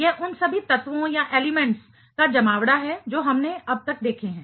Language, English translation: Hindi, It is the gathering of all the elements that we have seen so far